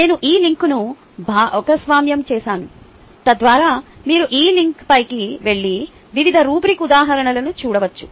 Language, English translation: Telugu, i have shared this link so that ah you could go on this link and look at various rubric examples